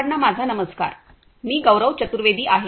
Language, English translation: Marathi, Hello everyone, I am Gaurav Chaturvedi